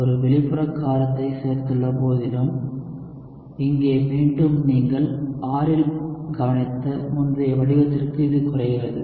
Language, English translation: Tamil, What do you observe here again is despite the fact that you have added an external base, here again it reduces to the earlier form where you have k observed into R